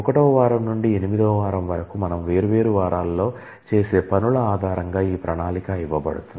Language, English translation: Telugu, So, this plan is given based on what we do in different weeks from week 1 to week 8